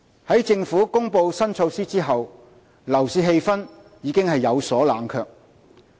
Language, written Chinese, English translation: Cantonese, 在政府公布新措施後，樓市氣氛已有所冷卻。, There have been signs of cooling off in the property market after the Governments announcement of the new measure